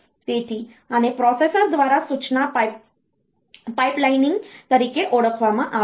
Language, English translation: Gujarati, So, this is this is known as instruction pipelining through the processor